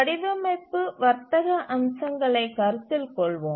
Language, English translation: Tamil, Now let's consider the design trade ups